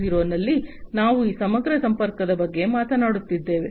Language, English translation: Kannada, 0, we are talking about this holistic connectivity